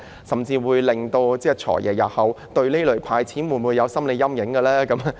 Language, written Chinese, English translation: Cantonese, 甚至會否令"財爺"日後對這類"派錢"計劃有心理陰影呢？, Will it even have a negative psychological impact on the Financial Secretary in respect of this kind of handout scheme in future?